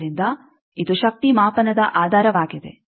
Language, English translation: Kannada, So, this is the basis of power measurement